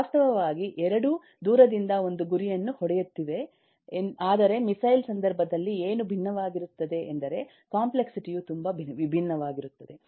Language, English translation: Kannada, both are actually hitting a target over a distance, but what is different in case of missile is the complexity is very different